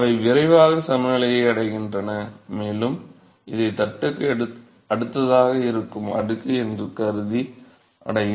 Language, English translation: Tamil, So, they will quickly equilibrate and they will reach the suppose this is the layer, very close to next to the plate